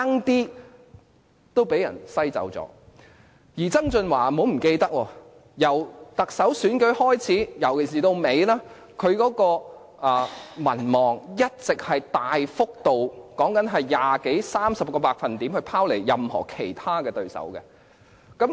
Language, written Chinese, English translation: Cantonese, 大家不要忘記，曾俊華由參與特首選舉開始，尤其是到最後階段，他的民望一直大幅拋離其他對手，幅度是二十多三十個百分比。, Please bear in mind that since the start of the race the popularity of John TSANG had been leading his competitors by 20 % to 30 % with the lead further widening at the final stage of the election